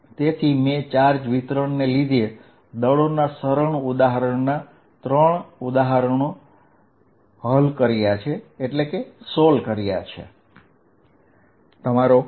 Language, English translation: Gujarati, So, I have solved three examples simple examples of forces due to charge distribution